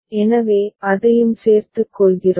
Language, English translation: Tamil, So, we include that also